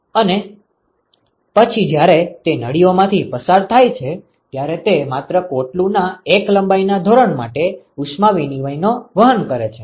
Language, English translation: Gujarati, And then when they go through these tubes they experience heat exchange only for one length scale of the shell